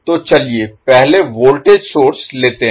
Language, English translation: Hindi, So lets us first take the voltage source